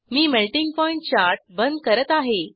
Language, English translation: Marathi, I will close Melting point chart